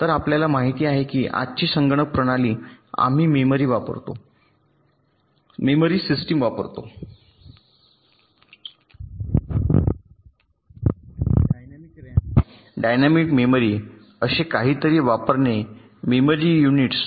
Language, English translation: Marathi, so you know that when todays computer system we use the memory systems, memory units, using something called dynamic ram, dynamic memory